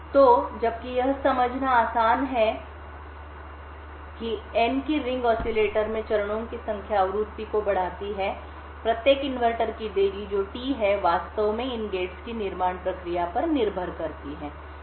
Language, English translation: Hindi, So, while it is easy to understand that n that is the number of stages in ring oscillator upends the frequency, the delay of each inverter that is t actually depends upon the fabrication process of these gates